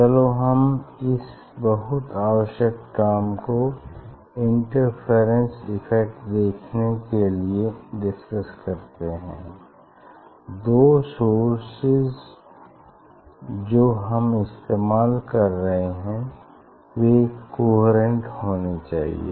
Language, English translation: Hindi, let us discuss this very important fact for seeing the interference effect the source; the two source we are using that has to be coherent